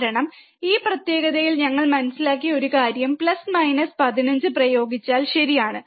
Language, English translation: Malayalam, Because one thing that we understood in this particular experiment is that if we apply plus minus 15, right